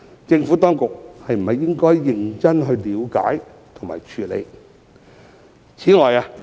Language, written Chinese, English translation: Cantonese, 政府當局是否應該認真了解和處理？, Should the Administration identify and address them seriously?